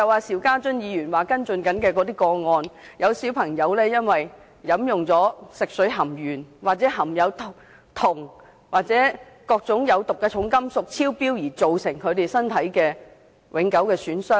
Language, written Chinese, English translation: Cantonese, 邵家臻議員正在跟進的個案中，有孩童因為飲用含鉛、銅或有毒重金屬超標的食水，造成身體永久受損。, In some cases being followed up by Mr SHIU Ka - chun some children have suffered permanent bodily harm after drinking water with excess lead copper or poisonous heavy metals